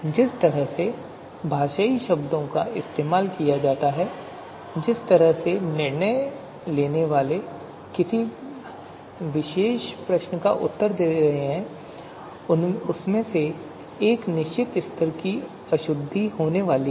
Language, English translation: Hindi, So the way linguistic terms are used, the way decision makers are going to respond you know to a particular you know to a particular you know question, you know there is going to be a certain level of impreciseness